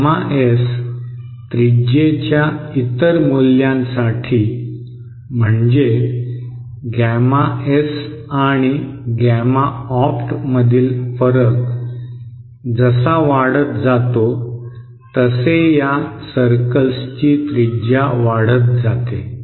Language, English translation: Marathi, For other values of gamma S radius that is as the difference between gamma S and gamma YS, I beg your pardon gamma S and gamma opt increases the radius of these circles increases